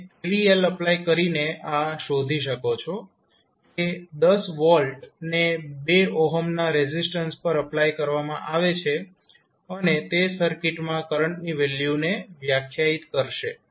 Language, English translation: Gujarati, You can simply find out by applying the kvl that is 10 volt is applied across through the 2 ohm resistance and it will define the value of current in the circuit